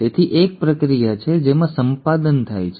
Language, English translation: Gujarati, So there is a process wherein the editing takes place